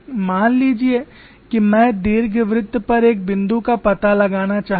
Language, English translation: Hindi, Suppose I want to locate a point on the ellipse